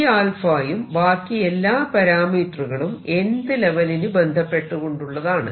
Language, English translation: Malayalam, Remember, C alpha and all these things are corresponding to the nth level